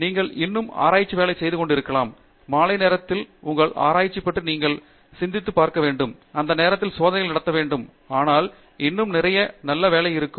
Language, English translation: Tamil, You could still be doing research work, you may be thinking about your research later in the evening without necessarily running the experiment at that point and time, but still that would be a lot of good work